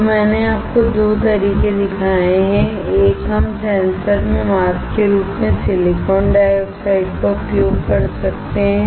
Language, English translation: Hindi, So, I have shown you 2 ways; one, we can use the silicon dioxide as a mask in sensor